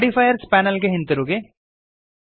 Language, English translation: Kannada, Go back to the Modifiers Panel